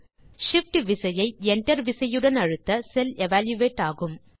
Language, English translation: Tamil, Pressing Shift along with Enter evaluates the cell